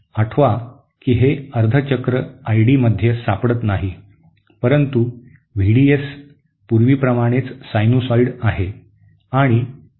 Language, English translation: Marathi, Recall that this half cycle is missing from I D, but V D S continues to be a sinusoid just like before